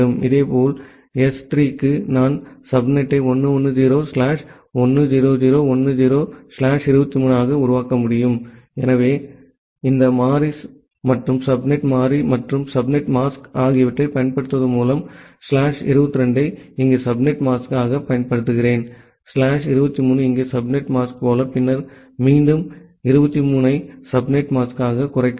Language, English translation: Tamil, And for S3 similarly, I can make the subnet as 1 1 0 slash 1 0 0 10 slash 23, so that way by using this variable and subnet variable and subnet mask, where I am using slash 22 as the subnet mask here, slash 23 as the subnet mask here, and then again slash 23 as the subnet mask